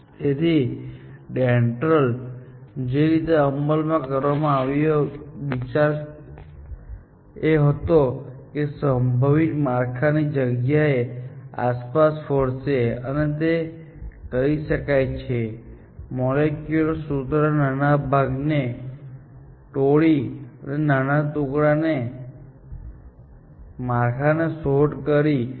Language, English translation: Gujarati, So, the way that is DENDRAL was implemented, the idea was, it will explore the space of possible structures, and this can be done by breaking down a molecular formula into smaller parts, and exploring the structure of the smaller parts